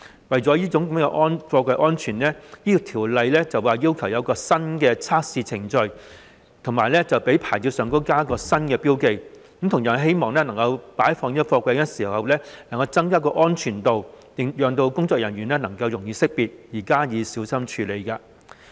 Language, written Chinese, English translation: Cantonese, 為了貨櫃安全，《條例草案》要求設立一個新的測試程序，以及在牌照上加上新標記，希望擺放貨櫃的時候能夠增加安全度，讓工作人員容易識別而加以小心處理。, For the sake of container safety the Bill requires that a new testing procedure be set up and new markings be added on the safety approval plates SAPs of these containers . It is hoped that the requirements will enable workers to easily identify and carefully stack these containers with a view to enhancing safety . Third the Bill aligns the terms used in SAPs of containers with the international system